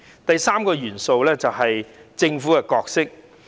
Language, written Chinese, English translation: Cantonese, 第三個元素是政府的角色。, The third element is the role of the Government